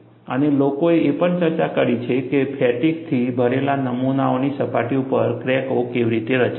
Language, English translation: Gujarati, And, people also have discussed, how cracks do get form on the surfaces of fatigue loaded specimens